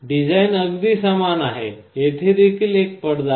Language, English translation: Marathi, The design is very similar; here also there is a diaphragm